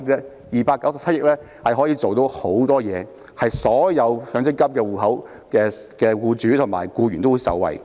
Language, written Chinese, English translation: Cantonese, 這297億元的效用很大，可以令所有擁有強積金戶口的僱主及僱員受惠。, This sum of 29.7 billion can do a lot benefiting all employers and employees with MPF accounts